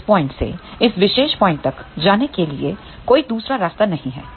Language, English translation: Hindi, There is no other path to go from this point to this particular point